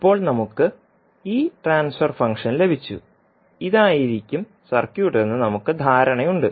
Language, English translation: Malayalam, So now we have got this transfer function and we have the idea that this would be circuit